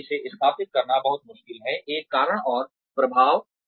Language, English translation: Hindi, And, it is very difficult to establish, a cause and effect